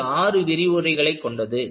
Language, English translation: Tamil, So, that will be for about six lectures